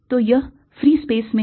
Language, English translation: Hindi, so this is in free space